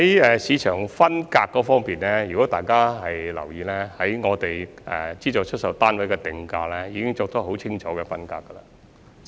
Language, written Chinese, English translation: Cantonese, 在市場分隔方面，如果大家有留意的話，我們就資助出售單位作出定價時已有很清楚的分隔。, If Members have noticed in connection with market segregation we already have a clear segregation when we set the prices of SSFs